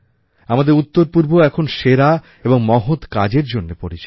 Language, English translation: Bengali, Now our Northeast is also known for all best deeds